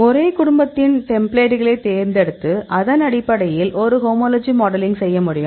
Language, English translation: Tamil, So, then we picked up the templates the same family; then we did a homology modeling based on the template